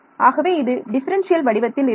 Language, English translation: Tamil, So, it is based on differential form, not integral form